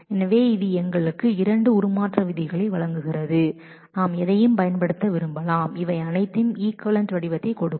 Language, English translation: Tamil, So, this gives us two transformation rules and we might want to use any so, these all will give equivalent form